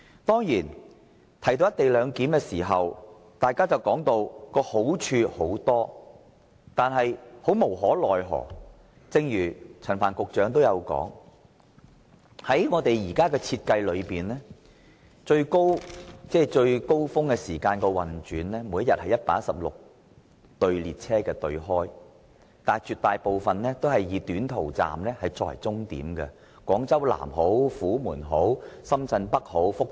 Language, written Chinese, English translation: Cantonese, 當然，大家會說道"一地兩檢"有很多好處，但無可奈何的是，正如陳帆局長也說道，在現時的設計下，高峰期是每天開出116對列車，但大部分均以短途班次為主，來往廣州南站、虎門、深圳北、福田。, Certainly Members will say that the co - location arrangement will bring about many benefits . But disappointingly as also asserted by Secretary Frank CHAN most of the 116 pairs of trains that will be deployed during peak periods every day under the existing design are mainly for short - haul journeys between Guangzhou South Humen Shenzhen North and Futian Stations